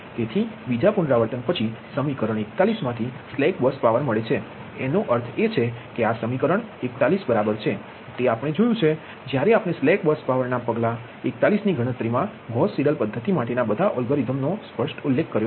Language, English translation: Gujarati, so after second iteration, slack bus power from equation one, equation forty one, right, that means this is equation forty one right we have when we are explain algorithm for the gauss algorithm, for the gauss seidel method in step four, computation of slack bus power